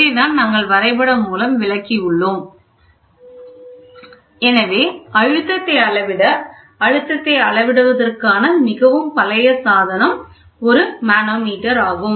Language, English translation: Tamil, So, to measure the pressure we start or a very primitive device for measuring pressure is a manometer